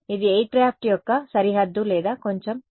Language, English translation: Telugu, Is it the boundary of the aircraft or little bit more